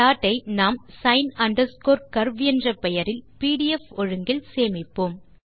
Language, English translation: Tamil, We will save the file by the name sin curve in pdf format